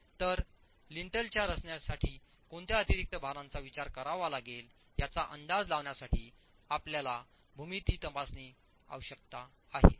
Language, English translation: Marathi, So you will have to check the geometry to be able to estimate what additional loads would have to be considered for the design of the Lintel itself